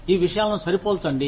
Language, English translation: Telugu, Just compare these things